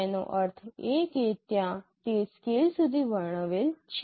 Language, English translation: Gujarati, That means there is it is described up to scale